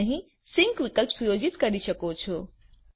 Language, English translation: Gujarati, You can set your sync option here